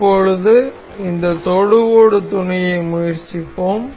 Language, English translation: Tamil, For now let us try this tangent mate